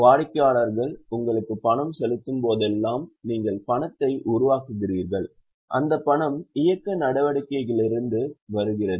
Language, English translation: Tamil, Whenever the customer pays you, you are generating cash and that cash is from operating activity